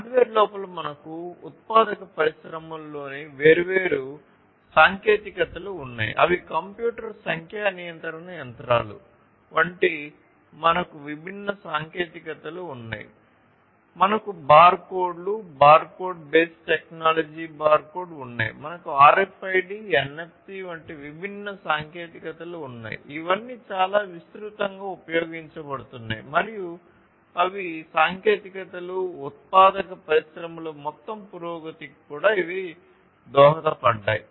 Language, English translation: Telugu, Within hardware we have different technologies in the manufacturing industries such as the computer numeric control machines, we have the barcodes, barcode base technology barcode, we have different technologies such as RFID, NFC all of these are quite, you know, used quite widely and these are the technologies that have also contributed to the overall advancement of the manufacturing industries and like this actually there are many others also